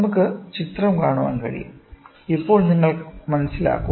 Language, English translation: Malayalam, So, we can see the figure and then you will understand